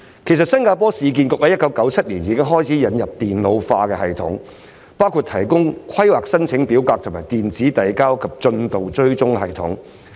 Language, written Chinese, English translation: Cantonese, 其實，新加坡市建局於1997年已經開始引入電腦化系統，包括電腦化規劃申請表格和電子遞交及進度追蹤系統。, In fact since 1997 the Urban Redevelopment Authority URA of Singapore has introduced a computerized system including a computerized planning application form and an electronic submission and progress tracking system